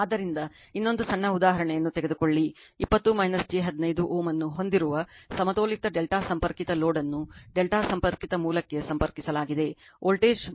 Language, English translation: Kannada, So, take another small example; a balanced delta connected load having an impedance 20 minus j 15 ohm is connected to a delta connected source the voltage is 330 angle 0 degree that is V ab is given